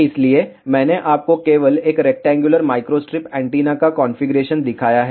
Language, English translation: Hindi, So, I have shown you the configuration only of a rectangular microstrip antenna